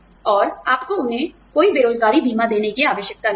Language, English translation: Hindi, And, you do not have to give them, any unemployment insurance